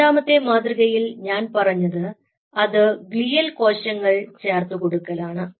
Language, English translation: Malayalam, the second way is addition of glial cells